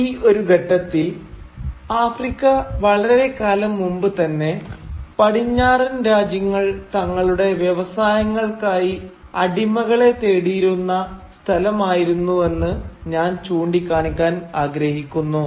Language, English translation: Malayalam, Now at this point, I would like to point out that Africa, since long, had been a place from where the West had acquired slave labour for its industries